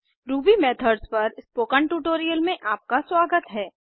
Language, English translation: Hindi, Welcome to the Spoken Tutorial on Ruby Methods